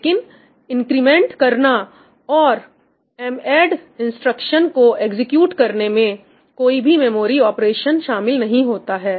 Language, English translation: Hindi, But incrementing, and doing this madd all of these do not involve any memory operations